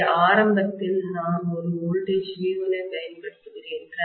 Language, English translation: Tamil, So initially, I am just applying a voltage V1